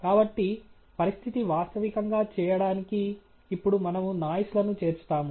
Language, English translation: Telugu, So, to make the situation realistic, now we add noise